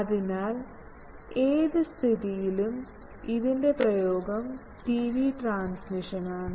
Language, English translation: Malayalam, So, in all these cases the application is TV transmission